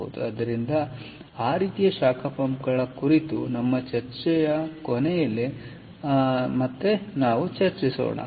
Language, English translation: Kannada, so that kind of brings us towards the end of our discussion on heat pumps